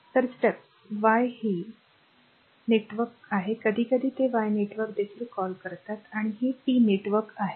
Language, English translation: Marathi, So, steps y it is star network we call sometimes they call y network also and this is T network right